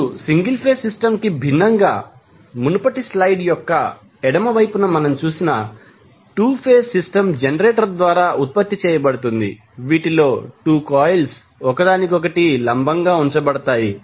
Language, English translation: Telugu, Now, as distinct from the single phase system, the 2 phase system which we saw in the left side of the previous slide is produced by generator consisting of 2 coils placed perpendicular to each other